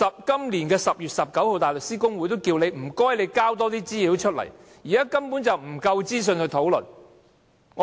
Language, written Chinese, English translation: Cantonese, 今年10月19日大律師公會已促請政府提供更多資料，因為根本沒有足夠資訊供大家討論。, The Bar Association urged the Government on 19 October this year to provide more information about its proposal because we do not have enough information to discuss the relevant arrangement